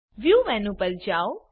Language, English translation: Gujarati, Go to View menu